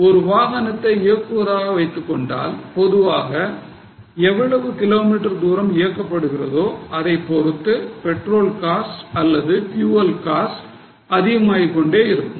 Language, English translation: Tamil, If a vehicle is being operated normally as per the use in kilometers, the petrol cost would go up or fuel cost will go up